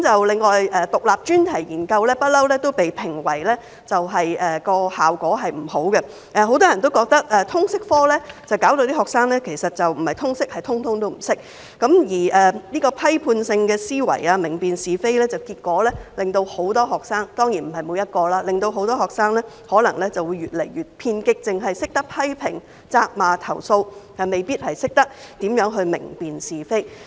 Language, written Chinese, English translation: Cantonese, 另外，獨立專題研究一直被批評為效果不佳，很多人認為通識科令學生"不是通識，而是通通都不識"，而批判性的思維、明辨是非方面，結果令很多學生——當然不是每一位——可能越來越偏激，只懂得批評、責罵和投訴，未必懂得如何明辨是非。, Moreover Independent Enquiry Study IES has always been criticized as ineffective . Many people hold that the LS subject has made students ignorant rather than knowledgeable and its content on critical thinking and distinction between right and wrong has possibly made many students―not all of them of course―more and more radical so much so that they resort to criticism finger - pointing and complaints not necessarily knowing how to distinguish between right and wrong